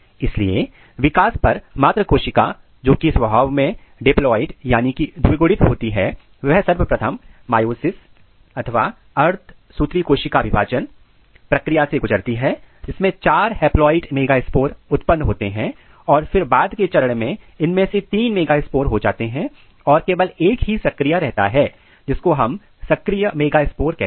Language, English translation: Hindi, So, this megaspore mother cell which is diploid in nature, it first undergo the process of meiosis to generate four megaspores, four haploid megaspores and then during later stages three of this megaspores they degenerate only one remains as a functional which is called functional megaspores